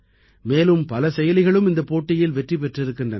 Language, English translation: Tamil, Many more apps have also won this challenge